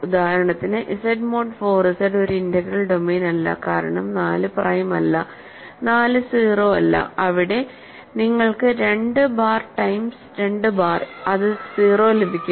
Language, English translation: Malayalam, For example, Z mod 4 Z is not an integral domain because 4 is not prime and 4 is not 0, there you can get 2 bar times 2 bar is 0